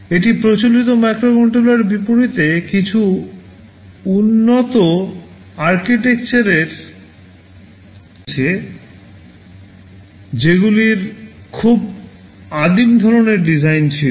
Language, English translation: Bengali, It borrows some advanced architectural ideas in contrast to conventional or contemporary microcontrollers that had very primitive kind of designs